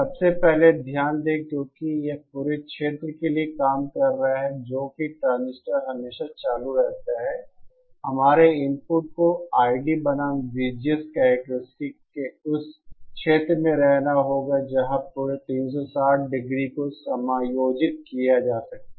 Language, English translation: Hindi, First of all, note that because it is operating for the entire region that is the transistor is always on, our input will have to be in that region of the I D versus V G S characteristics where the entire 360 degree can be accommodated